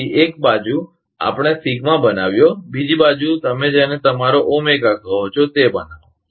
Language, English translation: Gujarati, So, one side we made sigma, other side you make your what you call Omega